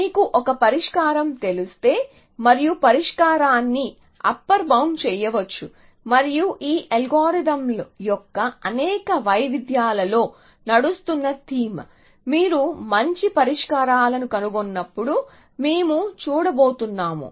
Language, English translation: Telugu, Essentially if you know one solution the solution can be made the upper bound and that is a theme which runs in too many variations of these algorithms that we are going to see either as and when you find better solutions